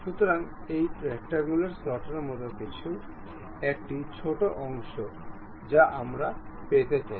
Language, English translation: Bengali, So, something like a rectangular slot, a small portion I would like to have